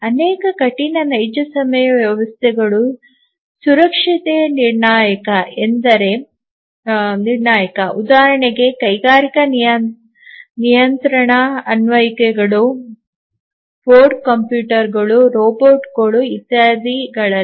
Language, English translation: Kannada, And many hard real time systems are safety critical for example, the industrial control applications, on board computers, robots etcetera